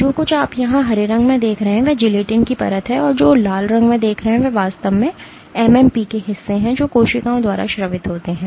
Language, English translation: Hindi, What you see here in green is the layer of gelatin and what you see in red are actually parts of MMP’s which are secreted by cells